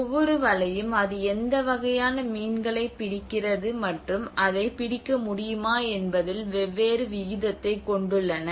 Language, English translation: Tamil, So that each, and every net have a different proportion on how what kind of fish it catches and it can hold